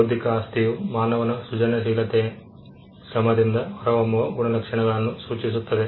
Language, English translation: Kannada, Intellectual property refers to that set of properties that emanates from human creative labour